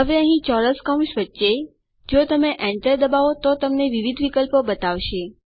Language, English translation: Gujarati, Now right here between the square brackets, if you press Enter it tells you the different options